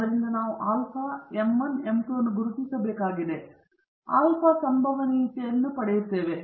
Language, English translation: Kannada, So, we have to identify f alpha, m 1, m 2 such that we get a probability of alpha